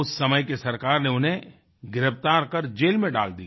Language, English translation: Hindi, The government of that time arrested and incarcerated him